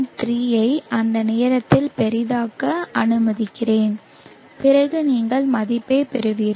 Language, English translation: Tamil, 3 let me just zoom at that point then you will get the value